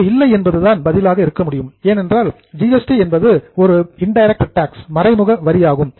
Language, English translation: Tamil, The answer is no because GST is an indirect tax